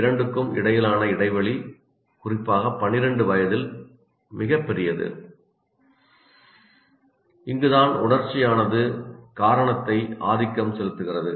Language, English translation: Tamil, And the gap between the two here, that means there is a gap here, especially at the age of 12, the gap is very large and this is where emotion dominates the reason